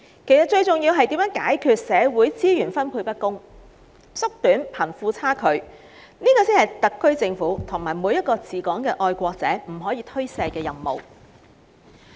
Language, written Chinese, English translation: Cantonese, 其實，最重要的，是如何解決社會資源分配不均及收窄貧富差距，這是特區政府及每一位治港的愛國者不可推卸的任務。, Most importantly in fact we should work out ways to eradicate the uneven distribution of social resources and narrow the gap between the rich and the poor . This is an inescapable task of the SAR Government and every patriot administering Hong Kong